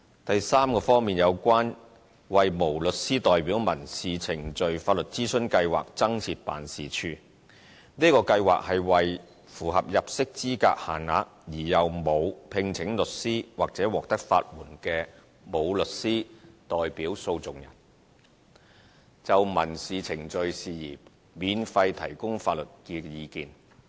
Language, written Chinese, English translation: Cantonese, 第三方面，有關為無律師代表民事程序法律諮詢計劃增設辦事處：這個計劃是為符合入息資格限額而又沒有聘請律師或獲得法援的無律師代表訴訟人，就民事程序事宜免費提供法律意見。, The third aspect is additional office for the Legal Advice Scheme for Unrepresented Litigants on Civil Procedures This Scheme provides free legal advice on civil procedural matters for unrepresented litigants who satisfy the income eligibility limit and have not engaged lawyers nor been granted legal aid